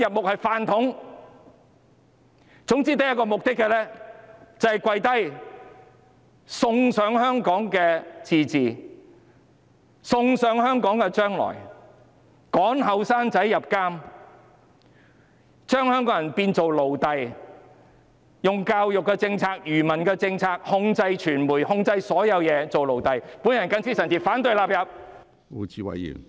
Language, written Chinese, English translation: Cantonese, 他們是"飯桶"，總之只有一個目的，就是"跪低"，送上香港的自治，送上香港的將來，趕年輕人入獄，將香港人變成奴隸，用教育政策、愚民政策控制傳媒、控制所有人，令大家變成奴隸。, They are dumb . Their sole objective is to bend their knees . They are sacrificing the autonomy and future of Hong Kong sending young people to jail turning the people of Hong Kong into slaves and imposing control over the media and everyone through education policies and obscurantism with a view to turning all of us into slaves